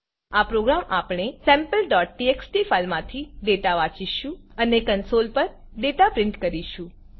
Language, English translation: Gujarati, In this program we will read data from our sample.txt file and print the data on the console